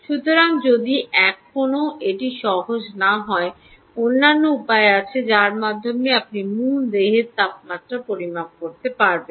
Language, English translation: Bengali, so if this is never going to be easy, there are other ways by which you can actually measure, ah, measure core body temperature